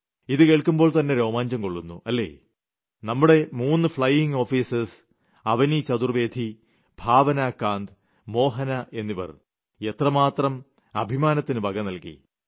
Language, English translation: Malayalam, You get goose pimples just at the mention of 'women fighter pilots'; we feel so proud that these three Flying Officer daughters of ours Avni Chaturvedi, Bhawna Kanth and Mohana, have achieved this great feat